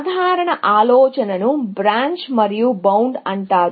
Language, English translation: Telugu, So, this general idea is called Branch and Bound